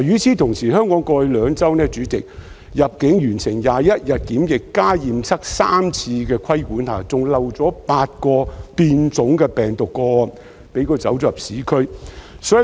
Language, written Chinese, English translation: Cantonese, 主席，香港過去兩周，在入境完成21日檢疫加上驗測3次的規管下，仍遺漏了8宗變種病毒個案，流入社區。, President despite the requirement for completion of a 21 - day quarantine period plus three tests upon arrival in Hong Kong eight cases involving virus variants have slipped through the cracks and entered the local community in the past two weeks